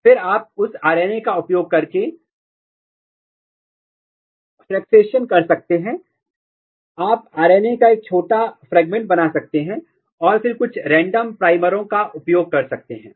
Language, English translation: Hindi, And then you use this RNA and you can do the fractionation you can make a small fragment of RNA and then use some random primers